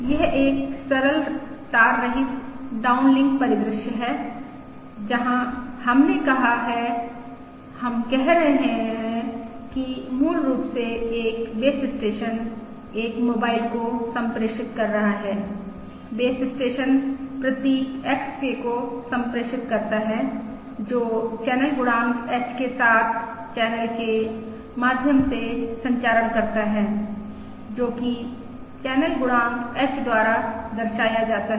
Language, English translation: Hindi, This is a simple wireless downlink scenario where we have said we are saying that basically a base station is transmitting to a mobile, the base station transmits the symbol XK that travels through the channel with channel coefficient H, which is represented by the channel coefficient H, and the received symbol at the mobile is given, is denoted by YK, and also there is additive noise VK at the receiver